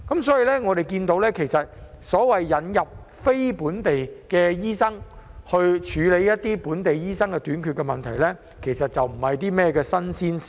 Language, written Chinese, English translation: Cantonese, 所以，我們看到，引入非本地醫生以紓緩本地醫生人手短缺的問題，其實並非新鮮事。, We can thus see that the introduction of non - local doctors to alleviate the shortage of local doctors is nothing new